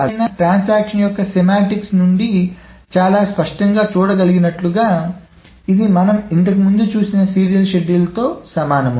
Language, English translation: Telugu, However, as one can very clearly see from the semantics of the transaction that this is equivalent with the serial schedule that we saw earlier